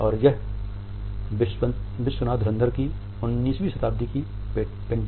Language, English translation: Hindi, This is a 19th century painting by Vishwanath Dhurandhar